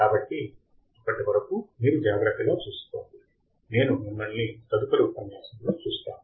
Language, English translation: Telugu, So, till then you take care, and I will see you in the next lecture, bye